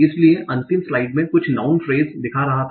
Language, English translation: Hindi, So last slide I was showing some norm phrases